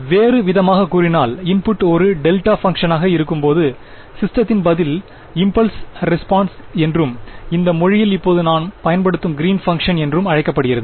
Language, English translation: Tamil, So, in other words the system response when the input is a delta function is called the impulse response and in this language that we are using now its called the greens function